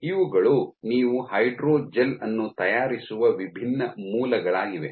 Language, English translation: Kannada, So, these are the different sources in which you can make the hydrogel